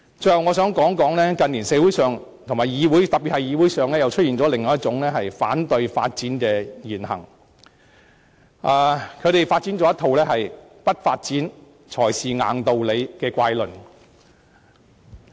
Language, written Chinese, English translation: Cantonese, 最後，我想指出，近年社會上特別是議會裏，出現了另一種反對發展的言行，提出一套"不發展才是硬道理"的怪論。, Finally I would like to point out that in recent years there are words and deeds that are against development in the community especially in this Council and there is a ridiculous theory of not to develop is the absolute principle